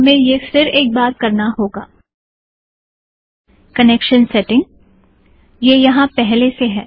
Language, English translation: Hindi, We have to do this once again, connection setting, so its already there